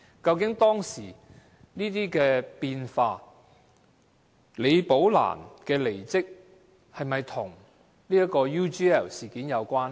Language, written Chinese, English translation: Cantonese, 究竟當時這些變化、李寶蘭的離職，是否跟 UGL 事件有關？, Were these personnel changes at that time including Rebecca LIs resignation connected with the UGL incident?